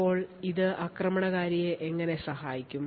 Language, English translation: Malayalam, So how does this help the attacker